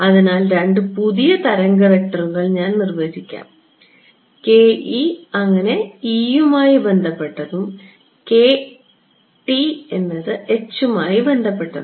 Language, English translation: Malayalam, So, let me define two new wave vectors so, k e corresponding to the e part and a k h corresponding to the h part